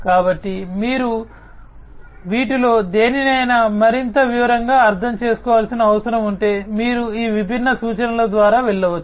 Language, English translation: Telugu, So, you know if you need to understand any of these things in more detail, then you know you can go through these different references